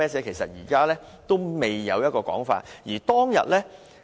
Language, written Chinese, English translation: Cantonese, 其實現時都未有一個確定說法。, There is yet a definite answer to all these questions